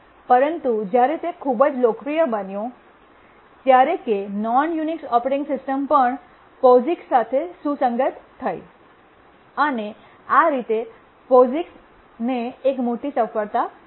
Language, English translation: Gujarati, But then it became so popular that even the non unix operating system also became compatible to the POGICs